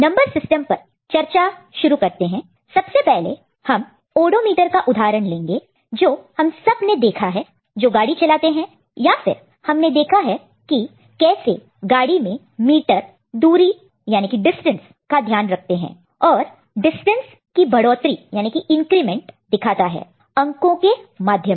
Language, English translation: Hindi, So, to discuss number system – first, we look at one example of an odometer, which we have perhaps, all of us have seen those who drive vehicle or we have you know seen, how the meter which takes note of the distance in the vehicle is you know, showing the increments in the number